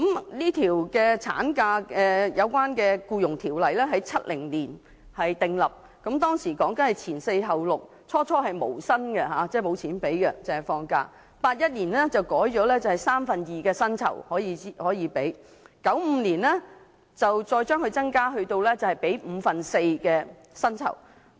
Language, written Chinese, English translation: Cantonese, 《僱傭條例》內有關產假的規定在1970年訂立，當時規定"前四後六"，最初是無薪的，到了1981年更改為支取三分之二薪酬 ，1995 年再增加至五分之四薪酬。, Maternity leave was first introduced under the Employment Ordinance in 1970 which made employees entitled to unpaid leave four weeks before and six weeks after delivery . In 1981 the maternity leave pay was amended to two thirds of the wages and in 1995 it was again raised to four fifths of the wages